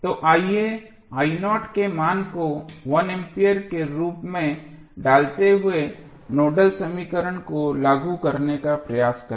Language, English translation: Hindi, So, let us try to apply Nodal equation while putting the value of i naught as 1 ampere